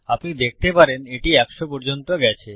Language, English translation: Bengali, You can see it has gone to hundred